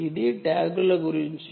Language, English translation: Telugu, ok, now, this is about tags